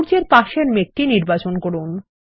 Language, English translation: Bengali, Select the cloud next to the sun